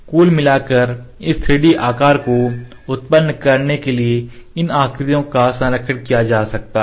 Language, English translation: Hindi, The alignment of these shapes can be done to generate the overall this 3D shape